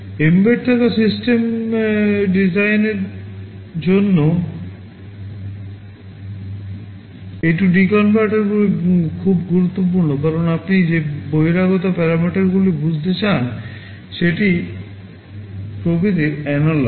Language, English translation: Bengali, A/D converters are very important for embedded system design because many of the external parameters that you want to sense are analog in nature